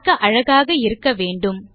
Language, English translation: Tamil, You need to be attractive